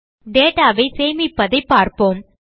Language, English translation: Tamil, Let us now see how to store this data